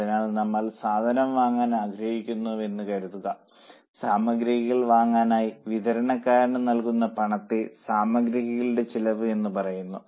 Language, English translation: Malayalam, So, suppose we want to buy material, we will have to pay the supplier that is called as a material cost